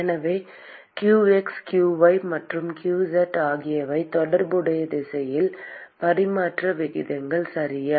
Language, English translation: Tamil, So, qx, qy and qz are the transfer rates in the corresponding direction, okay